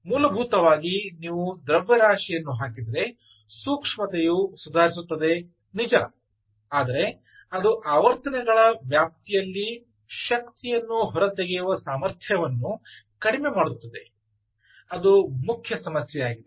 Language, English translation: Kannada, essentially, if you put a tip mass, while sensitivity improves, its ability to extract energy across a range of frequencies reduces